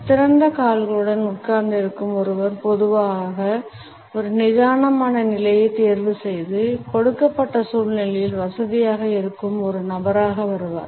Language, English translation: Tamil, A person who is sitting with open legs normally comes across as a person who is opted for a relaxed position and is comfortable in a given situation